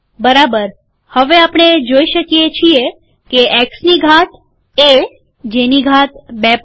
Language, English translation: Gujarati, Okay, now we see that, X to the power, A to the power 2.5